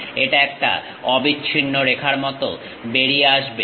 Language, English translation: Bengali, It comes out like a continuous line